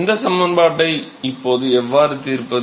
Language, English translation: Tamil, So, now, how do we solve this equation